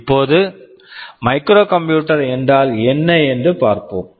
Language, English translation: Tamil, Now, let us see what is a microcomputer